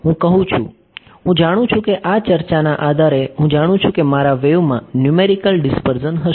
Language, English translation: Gujarati, I am saying, I know based on this discussion I know that my wave will have numerical dispersion I want to mitigate that effect